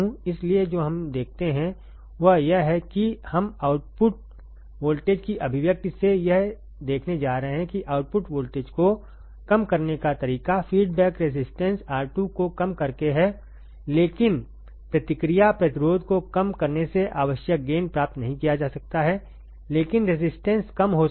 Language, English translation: Hindi, So, what we see is that we are going to see from the output voltage expression that one way to decrease output voltage is by minimizing the feedback resistance R 2, but decreasing the feedback resistance the required gain cannot be achieved, but decreasing resistance the feedback resistance the required gain cannot be achieved, right